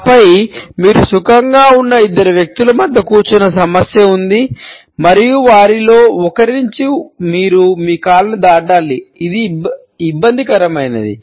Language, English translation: Telugu, And then there is the issue where you are sitting between two people that you are comfortable with and you have to cross your leg away from one of them; that is awkward